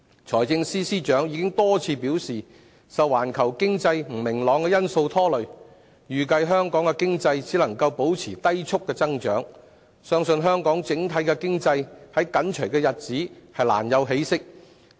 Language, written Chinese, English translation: Cantonese, 財政司司長已多次表示，受環球經濟不明朗的因素拖累，預計香港經濟只能保持低速增長，相信香港整體經濟在短期內難有起色。, The Financial Secretary has repeatedly indicated that given the encumbrances of global economic uncertainties it is estimated that the Hong Kong economy can only maintain slow growth . It is believed that the overall economic situation in Hong Kong will hardly show any signs of improvement in the short run